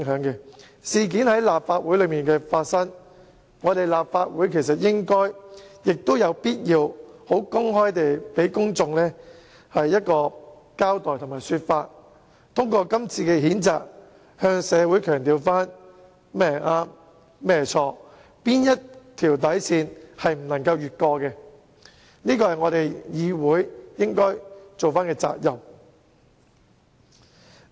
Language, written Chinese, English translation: Cantonese, 這宗事件既然在立法會裏發生，本會理應亦有必要公開給公眾一個交代，透過今次譴責議案讓社會知道甚麼是對錯，以及不能逾越的底線，這是議會應負起的責任。, Since the incident took place in the Legislative Council it is justifiable and necessary for the Council to give an account to the general public . By moving the censure motion the Council will be able to convey to the public what is right and wrong as well as the bottom line that must not be crossed . This is the responsibility of the Council